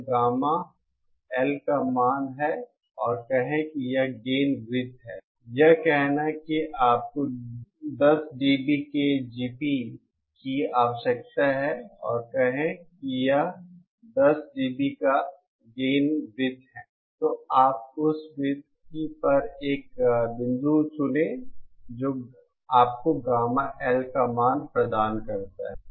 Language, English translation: Hindi, This is the value of gamma L and say this is the gain circle, this is the say you need a GP of 10dB and say this is the 10dB gain circle, then you choose a point on the circle that gives you the value of gamma L